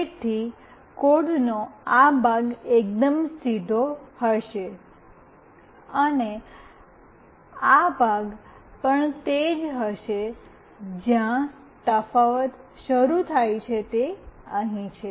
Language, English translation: Gujarati, So, this part of the code will be fairly the straightforward, and this part as well will be the same, where the difference starts is here